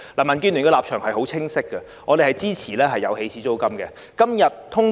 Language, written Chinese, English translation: Cantonese, 民建聯的立場很清晰，我們支持訂立起始租金。, DABs position has been very clear We support setting an initial rent